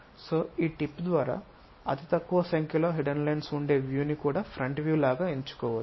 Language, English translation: Telugu, So, by tip, fewest number of hidden lines also determines to pick this front view